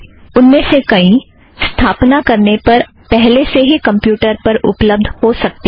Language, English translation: Hindi, Many of them may already be available on your installation